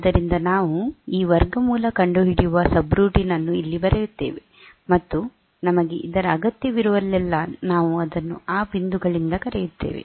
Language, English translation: Kannada, So, we write this square root routine here, and wherever we need this square root routine, we call it from those points